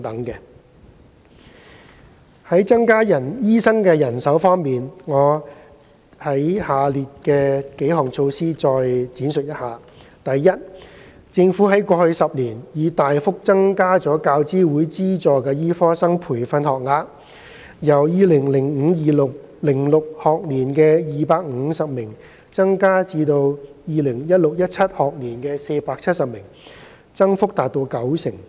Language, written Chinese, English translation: Cantonese, 三在增加醫生人手方面，我會就下列措施作出闡述：第一，政府在過去10年已大幅增加教資會資助的醫科生培訓學額，由 2005-2006 學年的250名增至 2016-2017 學年的470名，增幅達九成。, 3 I will elaborate on the following measures which have been taken to increase doctors manpower Firstly the Government has substantially increased UGC - funded medical training places over the past decade . The number of places was 470 in the 2016 - 2017 academic year representing an increase of 90 % when compared with 250 in the 2005 - 2006 academic year